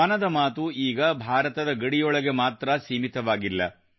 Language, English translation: Kannada, 'Mann Ki Baat' is no longer confined to the borders of India